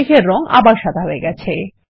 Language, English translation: Bengali, The colour of the cloud reverts to white, again